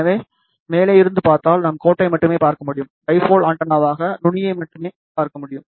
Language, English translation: Tamil, So, from the top, if we see, we will only see the line and the dipole antenna will only see the tip